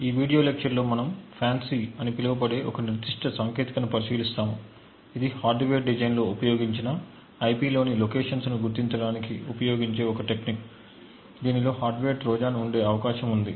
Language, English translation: Telugu, In this video lecture we will be looking at a particular technique known as FANCI, which is a technique used to identify locations within IP used in a hardware design which could potentially have a hardware Trojan present in it